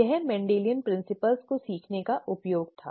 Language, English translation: Hindi, That was the use of learning Mendelian principles